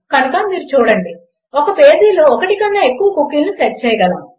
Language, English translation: Telugu, So you see we can set more than one cookie in a page